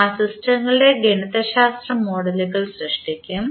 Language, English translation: Malayalam, And will create the mathematical models of those systems